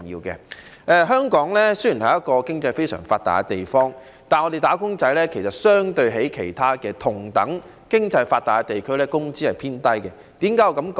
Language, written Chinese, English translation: Cantonese, 雖然香港是一個經濟非常發達的地方，但相對於同樣經濟發達的其他地區，香港"打工仔"的工資偏低。, Although Hong Kong is a well - developed economy wage earners in Hong Kong have relatively lower wages than other well - developed economies